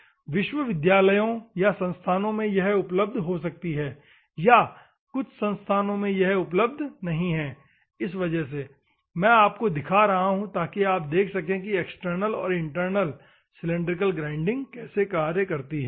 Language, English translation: Hindi, Many of the universities or any of the institutions may, have ,may have this one and some of the institutions may do not have this one, for that purpose I am showing you so that you can see how internal and external cylindrical grinding process works